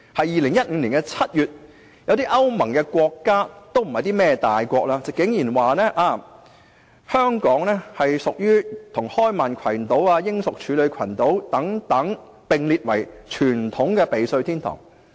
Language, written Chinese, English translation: Cantonese, 2015年7月，有些歐盟國家——不是大國——竟然說香港應與開曼群島、英屬處女群島等，並列為傳統的避稅天堂。, In July 2015 some European Union EU countries―not big countries―unexpectedly said that Hong Kong should be listed as a traditional tax haven just like the Cayman Islands the British Virgin Islands etc